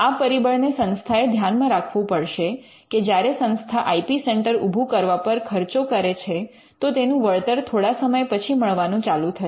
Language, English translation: Gujarati, So, this is something that has to be factored in institution because institute that spends money in establishing an IP centre is going to see profits only after sometime